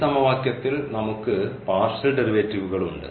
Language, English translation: Malayalam, This is a partial differential equation; we have the partial derivatives in this equation